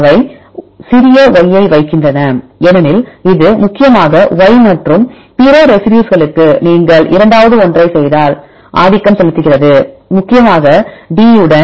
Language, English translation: Tamil, So, they put small y because it is mainly dominated by y and to other residues if you do a second one, so mainly with D